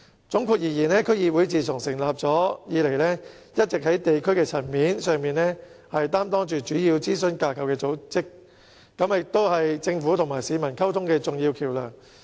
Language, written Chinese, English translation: Cantonese, 總括而言，區議會自成立以來，一直在地區層面上擔當主要諮詢組織的角色，也是政府與市民溝通的重要橋樑。, In sum DCs have all along played the role of major advisory bodies at the district level since their establishment and they are also an important bridge of communication between the Government and the people